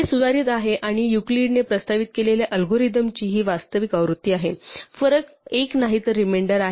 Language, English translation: Marathi, This is an improved and this is the actual version of the algorithm that Euclid proposed, not the difference one but the remainder one